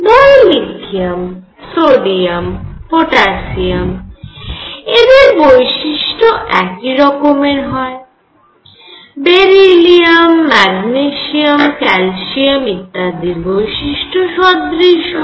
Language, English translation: Bengali, And in this case what happened was Li lithium, sodium, potassium and so on they showed similar properties, beryllium Mg and calcium and so on, they showed similar properties